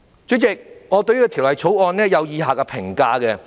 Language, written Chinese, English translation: Cantonese, 主席，我對《條例草案》有以下評價。, President I have the following comments on the Bill